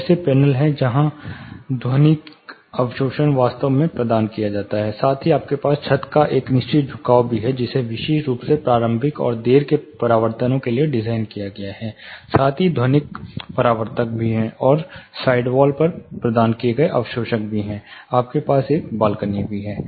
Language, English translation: Hindi, There are panels where acoustical absorption is actually provided, plus you also have certain inclination of the ceiling, which was designed specifically for you know talking into consideration, the initial and late reflections, plus there are acoustical reflectors, plus absorbers provided on the side walls, you have a balcony and below balcony